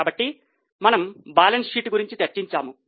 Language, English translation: Telugu, So, we discussed about the balance sheet